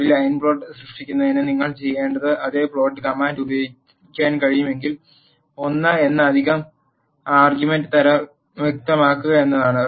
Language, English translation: Malayalam, If the same plot command can be used what you need to do to generate a line plot, is to specify an extra argument type which is l